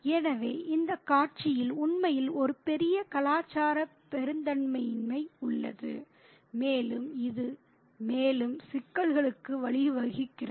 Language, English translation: Tamil, So, we have really a big cultural mismatch quite evident in the scene and it leads to further complications